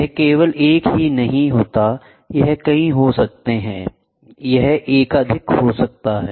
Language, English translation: Hindi, It need not be only one, it can be multiple, it can be multiple